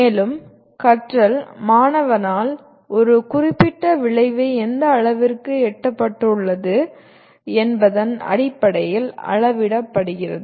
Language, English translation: Tamil, And learning is measured in terms of to what extent a specified outcome has been attained by the student